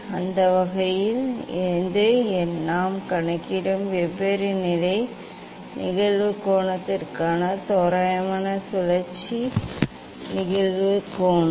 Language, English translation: Tamil, that way this is the approximate rotation incident angle for different position incident angle that we will calculate